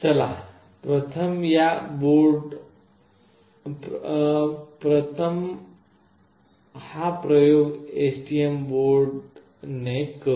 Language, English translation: Marathi, So, let us do this experiment with STM board first